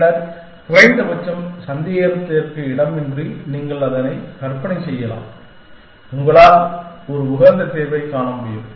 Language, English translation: Tamil, And then, at least indubitably you can imagine that, you will be able to find an optimal solution